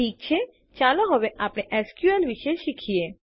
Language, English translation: Gujarati, Okay, now let us learn about SQL